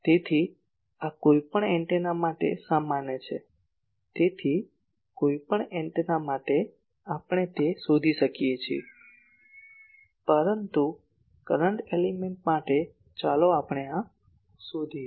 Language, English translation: Gujarati, So, this is general for any antenna , so for any antenna we can find that , but for current element let us find out this that